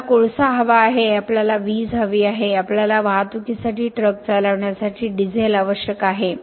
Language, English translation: Marathi, We need coal we need electricity; we need diesel for running the trucks for the transportation and so on